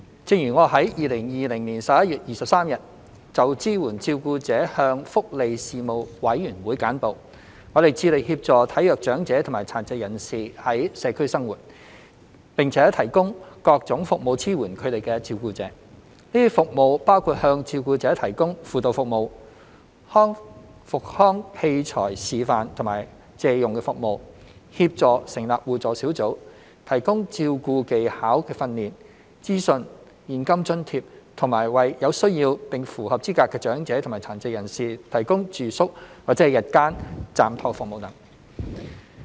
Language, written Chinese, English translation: Cantonese, 正如我在2020年11月23日就支援照顧者向福利事務委員會簡報，我們致力協助體弱長者及殘疾人士在社區生活，並提供各種服務支援他們的照顧者。這些服務包括向照顧者提供輔導服務、復康器材示範和借用服務、協助成立互助小組、提供照顧技巧訓練、資訊、現金津貼及為有需要並符合資格的長者及殘疾人士提供住宿或日間暫託服務等。, As I stated in my briefing to the Panel on Welfare Services on 23 November 2020 regarding the support for carers we are committed to assisting frail elders and persons with disabilities to live in the community and providing their carers with various support services including counselling service demonstrations and loans of rehabilitation equipment assistance to form mutual assistance groups care skills training and information cash allowances and residential or day respite services for eligible elderly persons and persons with disabilities in need